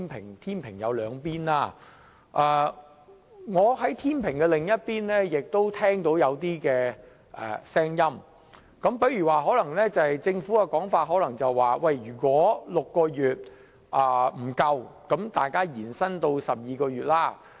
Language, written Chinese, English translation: Cantonese, 這個天秤有兩端，而我亦聽到天秤另一端的聲音，例如政府的說法是如果大家認為6個月的時間不足，可以延長至12個月。, This pair of scales has two sides and I have also heard the voice on its other side like the Governments remark that it may be extended to 12 months if Members hold that 6 months time is insufficient